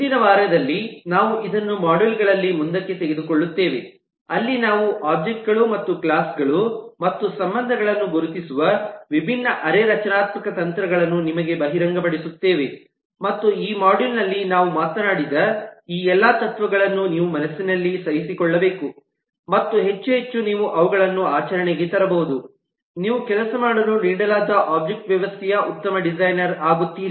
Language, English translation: Kannada, we will take this forward in the modules for the next week, where we will expose you with different semi structured techniques of identifying objects and classes and relationships and as you do that, all these principles that we have talked about in this module you should bear in mind more and more you can put them into practice, you will become a better designer of the object system that you are given to work with